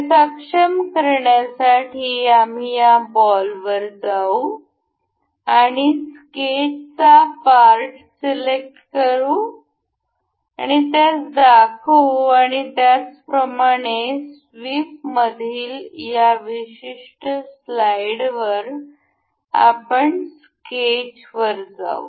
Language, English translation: Marathi, To enable that, we will go to this ball and we will select the sketch part and we will make it show and similarly, on the this particular slide in the sweep, we will go to the sketch